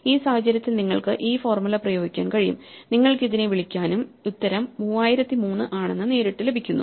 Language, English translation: Malayalam, In this case we can apply this formula if you would like to call it that and directly get that the answer is 3003